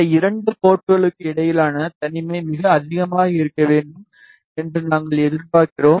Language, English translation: Tamil, We are expecting that the isolation between these 2 ports should be very high